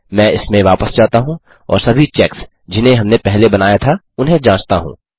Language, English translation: Hindi, Ill just go back into this and check all our checks that we had created first